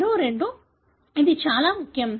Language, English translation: Telugu, Two more, this is very important